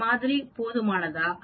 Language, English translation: Tamil, Is this sample adequate